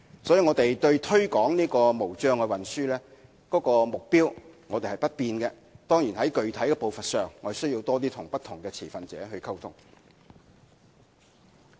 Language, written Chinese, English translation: Cantonese, 所以，我們對推廣無障礙運輸的目標沒有改變；當然，在具體實施步伐上，我們要多與不同持份者溝通。, Hence our goal to promote Transport for All has not changed . Of course we still have to communicate with various stakeholders regarding the pace of specific implementation